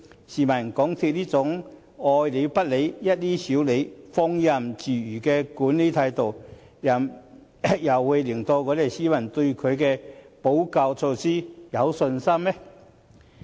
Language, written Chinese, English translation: Cantonese, 試問港鐵公司這種"愛理不理、一於少理"、放任自如的管理態度，怎能令市民對他們的補救措施有信心？, As MTRCL adopts such a nonchalant and laissez - faire attitude toward management issues how can the public have confidence in their remedial measures?